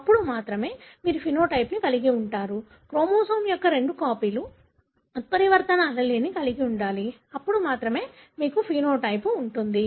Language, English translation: Telugu, Then only you would have the phenotype; both copies of the chromosome should carry the mutant allele, then only you will have the phenotype